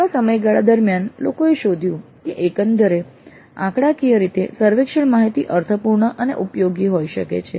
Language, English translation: Gujarati, But over a long period people have discovered that by and large statistically the survey data can be meaningful and useful